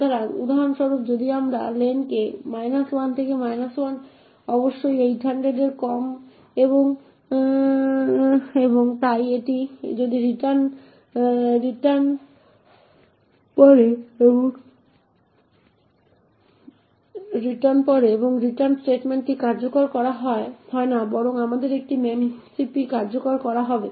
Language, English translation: Bengali, So for example if we give len to be minus 1, minus 1 is definitely less than 800 and therefore this if returns falls and this return statement is not executed but rather we would have a memcpy getting executed